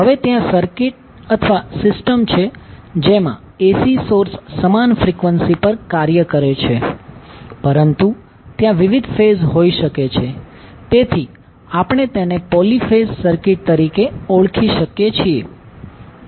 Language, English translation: Gujarati, Now, there are circuits or systems in which AC source operate at the same frequency, but there may be different phases So, we call them as poly phase circuit